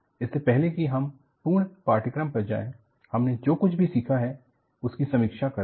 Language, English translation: Hindi, As a full course, before we get on to the full course, let us, review what we have learnt